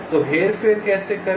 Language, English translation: Hindi, so how do manipulate